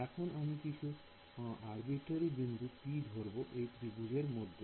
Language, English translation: Bengali, What I am going to do I am going to define some arbitrary point p inside this triangle ok